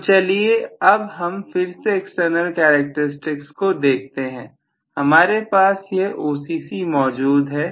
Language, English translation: Hindi, So, now let us try to look at again the external characteristics briefly, so if I am going to have actually this as the OCC, Right